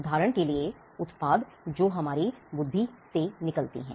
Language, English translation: Hindi, For instance, products that come out of our intellect